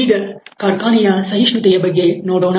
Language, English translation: Kannada, Let us look at the factory tolerance side